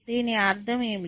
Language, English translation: Telugu, What do you mean by this